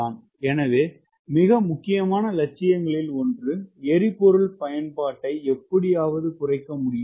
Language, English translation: Tamil, so one of the most important ambition is: can you somehow reduce the fuel consumption